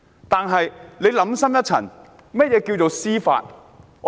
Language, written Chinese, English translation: Cantonese, 但想深一層，甚麼是司法公義呢？, Give these questions a second thought What is judicial justice?